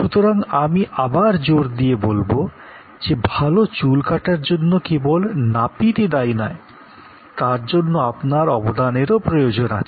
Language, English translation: Bengali, So, again I would emphasize that a good hair cut is not only provided by the barber by the saloon professional, but also a good hair cut needs your contribution